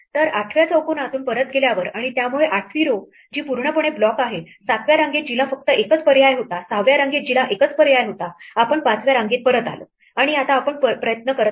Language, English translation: Marathi, So, having gone back from the 8th square and, so 8th row which is completely blocked, to the 7th row which had only one choice, to the 6th row which had only one choice we come back to the 5th row and now we try the next choice for the 5th row